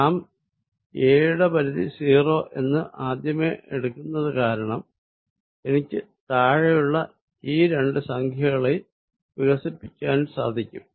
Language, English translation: Malayalam, Since, we are already assuming that we are going to take the limit a going to 0, I can expand these two quantities in the denominator